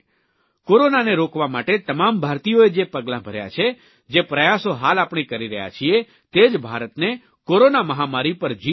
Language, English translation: Gujarati, The steps being taken by Indians to stop the spread of corona, the efforts that we are currently making, will ensure that India conquers this corona pandemic